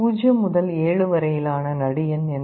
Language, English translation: Tamil, What is the middle point of 0 to 7